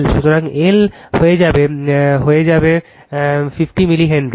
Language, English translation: Bengali, So, L will become is 50 milli Henry